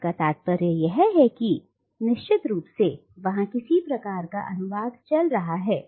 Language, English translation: Hindi, Which means that there is definitely some sort of translation going on